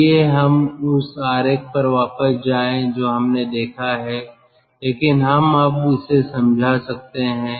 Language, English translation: Hindi, lets go back to the diagram, which we have seen, but we can now explain it